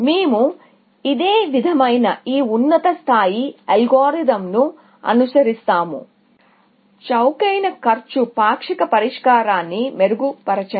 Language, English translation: Telugu, So, we follow this similar, this high level algorithm, we follow; refine the cheapest cost partial solution